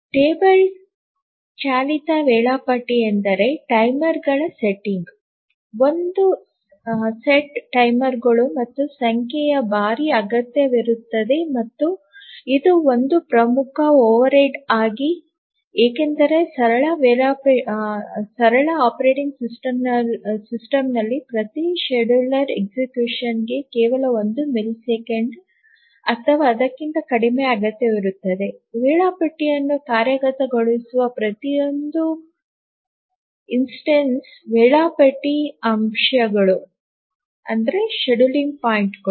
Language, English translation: Kannada, The table driven scheduler is that requires setting up timers, one shot timers, and number of times and this is a major overhead because we are talking of simple operating system requiring only one millisecond or less for each scheduler execution, each instance of execution of scheduler at the scheduling points